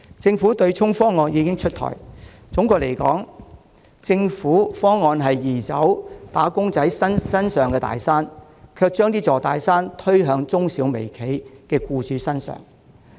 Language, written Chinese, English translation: Cantonese, 政府取消對沖機制的方案已經出台，總的來說，政府方案移走了"打工仔"身上的大山，卻把這座大山推給中小微企的僱主。, The Government has rolled out its proposal for abolishing the offsetting mechanism . All in all while wage earners would be relieved of the big mountain under the government proposal it would be shifted to the employers of micro small and medium enterprises